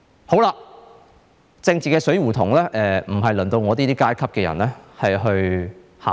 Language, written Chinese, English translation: Cantonese, 這個政治死胡同輪不到我這個階級的人去考慮。, People of my social stratum are not in a position to think about this political blind alley